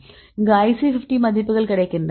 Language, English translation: Tamil, So, this go we get that IC 50 values